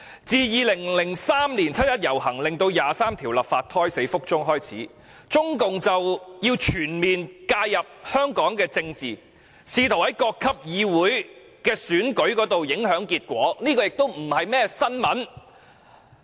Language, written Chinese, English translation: Cantonese, 自2003年七一遊行令《基本法》第二十三條立法胎死腹中開始，中共便全面介入香港的政治，試圖在各級議會選舉中影響結果，這已不是甚麼新聞。, Since the march on 1 July 2003 leading to the abortion of the proposal to enact legislation on Article 23 of the Basic Law the Communist Party of China CPC has interfered in Hong Kongs politics on all fronts in an attempt to exert influence over the elections of councils at different levels . This is indeed nothing new